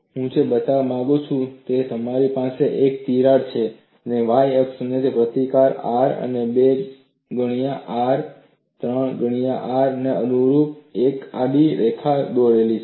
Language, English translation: Gujarati, What I want to show is I have a crack, and on the y axis, I have drawn a horizontal line corresponding to resistance R and 2 times R and 3 times R